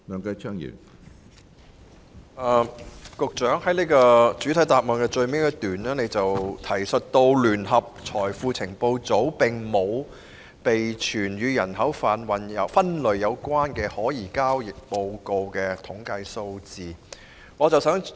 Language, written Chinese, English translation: Cantonese, 局長在主體答覆最後一段提述，聯合財富情報組並沒有備存與人口販運分類有關的可疑交易報告的數字統計。, The Secretary indicates in the last paragraph of the main reply that JFIU does not keep statistics on the breakdown of suspicious transaction reports relating to TIP